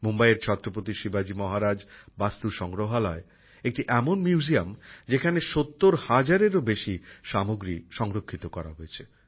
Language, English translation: Bengali, Mumbai's Chhatrapati Shivaji Maharaj VastuSangrahalaya is such a museum, in which more than 70 thousand items have been preserved